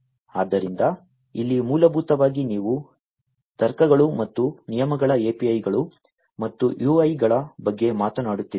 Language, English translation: Kannada, So, here basically you are talking about logics and rules APIs and UIs